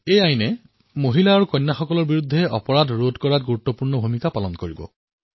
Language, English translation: Assamese, This Act will play an effective role in curbing crimes against women and girls